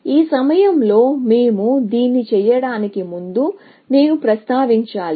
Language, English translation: Telugu, At this point, I should mention, before we do this